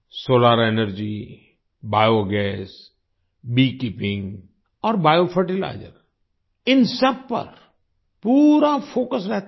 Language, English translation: Hindi, There is complete focus on Solar Energy, Biogas, Bee Keeping and Bio Fertilizers